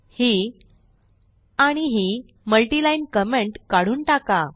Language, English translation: Marathi, Remove the multiline comments from here and here